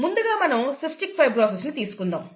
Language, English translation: Telugu, To do that, let us consider cystic fibrosis